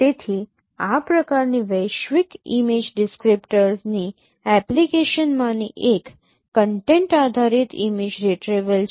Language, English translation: Gujarati, So one of the application of this kind of global image descriptor is content based image retrieval